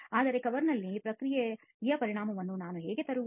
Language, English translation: Kannada, But then how do I bring in the effect of process on the cover